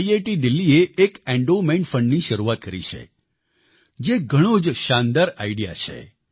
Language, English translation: Gujarati, IIT Delhi has initiated an endowment fund, which is a brilliant idea